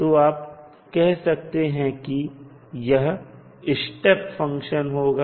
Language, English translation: Hindi, So, you will simply say it is a step function